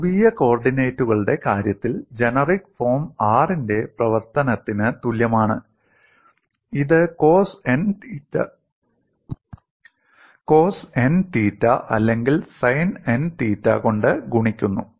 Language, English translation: Malayalam, In the case of polar coordinates, the generic form is phi equal to function of r, multiplied by cos n theta, or sin n theta